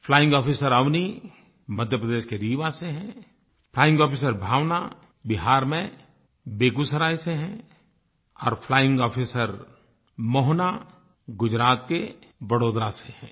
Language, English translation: Hindi, Flying Officer Avni is from Rewa in Madhya Pradesh, Flying Officer Bhawana is from Begusarai in Bihar and Flying Officer Mohana is from Vadodara in Gujarat